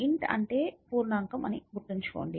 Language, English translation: Telugu, So, remember int stands for integer